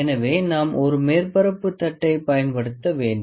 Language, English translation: Tamil, So, we need to use a surface plate